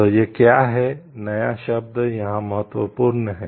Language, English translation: Hindi, So, this is what this the word new is important over here